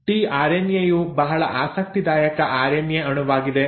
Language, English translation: Kannada, Now tRNA is a very interesting RNA molecule